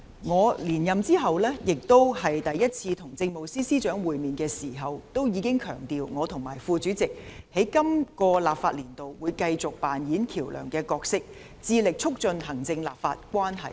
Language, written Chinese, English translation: Cantonese, 我在連任後第一次與政務司司長會面時強調，我和副主席在今個立法年度會繼續扮演橋樑的角色，致力促進行政立法關係。, When I met with the Chief Secretary for Administration for the first time after I was re - elected as Chairman of the House Committee I stressed that I and the Deputy Chairman will continue to play a bridging role in this legislative year and strive to promote the executive - legislature relationship